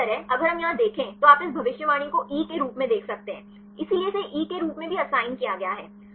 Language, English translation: Hindi, Likewise, if we see here you can see this predicted as E; so, this is also assigned as E